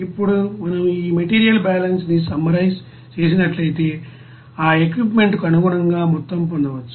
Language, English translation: Telugu, Now if we summarize this you know this material balance and it is the amount as per that equipment